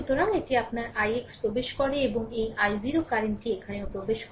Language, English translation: Bengali, So, this is your i x entering into and this i 0 current also entering here right